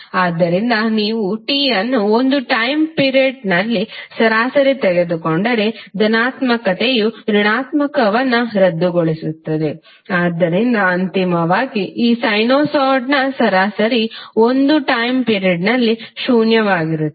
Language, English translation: Kannada, So if you take the average over a particular time period t the possible cancel out negative, so eventually the average of this sinusoid over a time period would remain zero